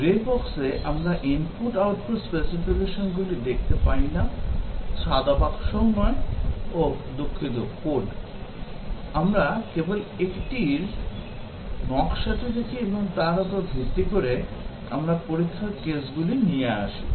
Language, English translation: Bengali, In grey box, we do not look at the input output specifications, neither the white box, oh sorry, the code; we just look at the design of that and based on that, we come up with the test cases